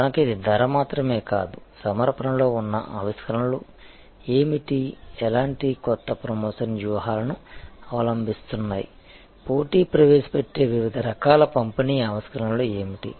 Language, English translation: Telugu, And so it is not only the price, but one has to look at what are the innovations in the offering, what kind of new promotion strategies are being adopted, what are the different kinds of distribution innovations that the competition might be introducing